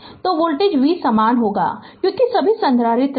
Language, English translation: Hindi, So, voltage v will be same because all the capacitor right